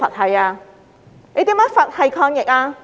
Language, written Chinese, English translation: Cantonese, 他如何"佛系"抗疫？, How can he fight the epidemic in a Buddha - like manner?